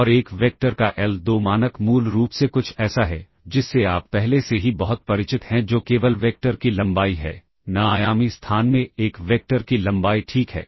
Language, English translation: Hindi, And l2 norm of a vector is basically something that you are already be very familiar with that is simply the length of the vector, length of a vector in n dimensional space ok